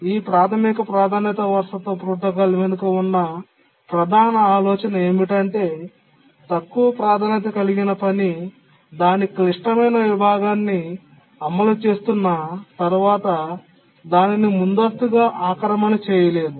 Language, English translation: Telugu, The main idea behind the basic priority inheritance protocol is that once a lower priority task is executing its critical section, it cannot be preempted